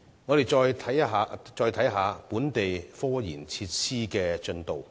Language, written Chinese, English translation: Cantonese, 我們再看看本地科研設施的進度。, Let us look at the progress of local scientific research facilities